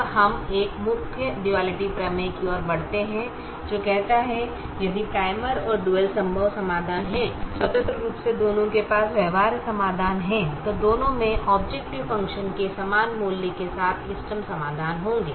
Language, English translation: Hindi, now we move on to a main duality theorem which says if the primal and dual have feasible solutions independently, both of them have physical solutions, then both will have optimum solutions with the same value of the objective function